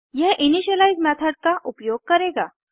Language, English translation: Hindi, This will invoke the initialize method